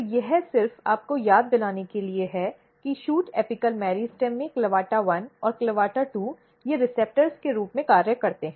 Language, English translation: Hindi, So, this is just to recall you that in shoot apical meristem, CLAVATA1 and CLAVATA2, they makes a kind of receptors